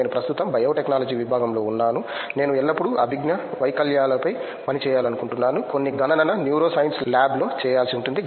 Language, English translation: Telugu, I am currently in the biotechnology department I always wanted to work on cognitive disabilities, some in the computation neuroscience lab